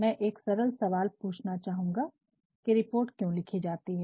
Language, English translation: Hindi, Let me ask you a simple question as to why are reports written